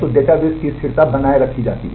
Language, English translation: Hindi, So, the consistency of the database is maintained